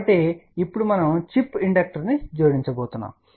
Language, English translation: Telugu, So, now we are going to add a chip inductor